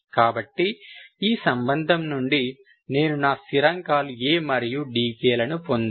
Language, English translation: Telugu, So from this relation I should get all my constants A and d ks